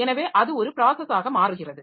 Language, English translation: Tamil, So, that becomes a process